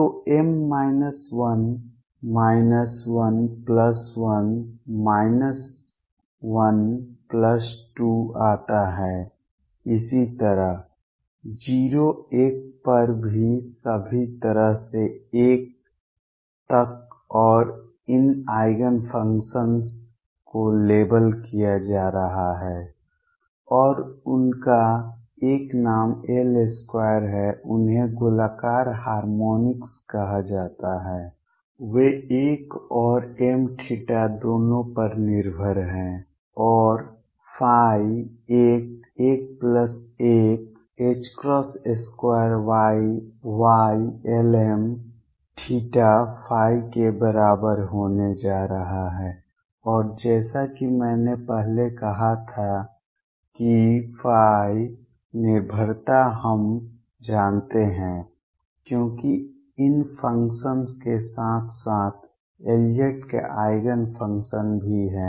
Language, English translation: Hindi, So, m comes out to be minus l, minus l plus 1, minus l plus 2 so on 0 1 all the way up to l and these Eigenfunctions are going to be labelled and they have a name l square, they are called spherical harmonics they depend both on l and m theta and phi is going to be equal to l, l plus 1, h cross square Y l m theta and phi and as I said earlier the phi dependence we know because of these functions beings simultaneous Eigenfunctions of L z also